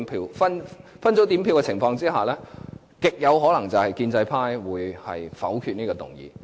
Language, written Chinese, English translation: Cantonese, 在分組點票的情況下，極有可能是建制派會否決這項議案。, Under a division it is highly possible that this motion will be vetoed by the pro - establishment camp